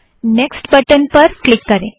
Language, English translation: Hindi, We pressed the next button